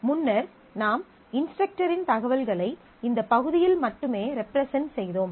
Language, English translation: Tamil, Now, earlier we were representing the information of instructor only in this part